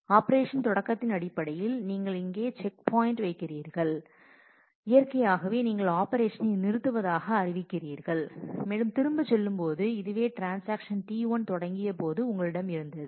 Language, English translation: Tamil, You come to the check point which is the end here in terms of the operation begin and naturally you declare operation abort and going back further this is what you had when transaction T 1 had started